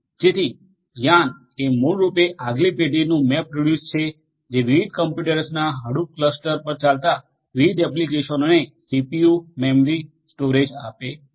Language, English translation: Gujarati, So, YARN is basically the next generation MapReduce which assigns CPU, memory, storage to different applications running on the Hadoop cluster of different computers